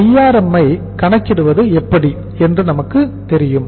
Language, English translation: Tamil, We know how to calculate Drm